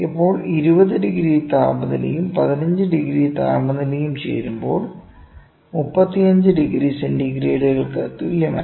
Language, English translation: Malayalam, Now, 20 degrees of temperature plus 15 degrees of temperature is not equal to 35 degree centigrades, ok